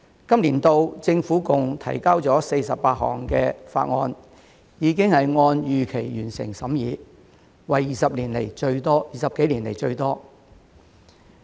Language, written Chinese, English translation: Cantonese, 本年度政府共提交了48項法案，已經按預期完成審議，為20多年來最多。, The scrutiny of a total of 48 bills introduced by the Government this year has been completed as scheduled the most in more than 20 years